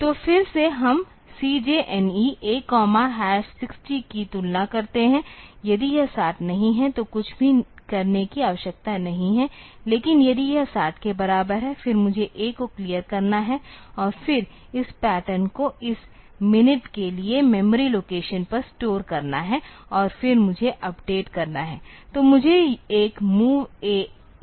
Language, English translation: Hindi, So, again we compare CJNE A comma hash 60 then if it is not 60 then nothing need needs to be done, but if it is equal to 60; then I have to clear A then store this pattern onto the memory location for this minute and then I have to do the update